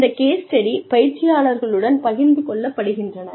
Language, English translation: Tamil, Then, these case studies are shared with the trainees